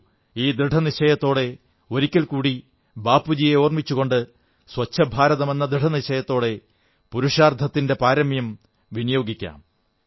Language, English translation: Malayalam, Let us all, once again remembering revered Bapu and taking a resolve to build a Clean India, put in our best endeavours